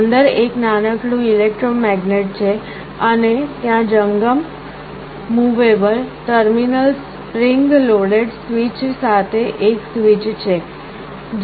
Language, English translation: Gujarati, There is a small electromagnet inside and there is a switch with one movable terminal spring loaded switch